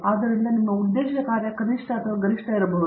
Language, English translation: Kannada, So, your objective function may be either minimum or maximum